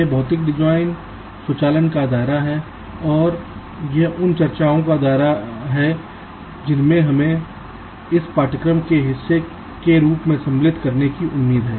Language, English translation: Hindi, ok, this is this scope of physical design automation and this is the scope of the discussions that we are expected to cover as part of this course